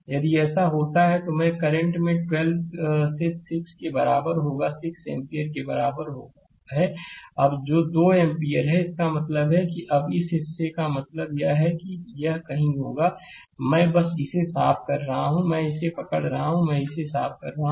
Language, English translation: Hindi, If you do so, then currentI will be is equal to 12 by 6 is equal to 2 ampere that is 2 ampere right that means that means this portion this portion it will be somewhere I am just I am just clearing it, I am just hold on I am just clearing it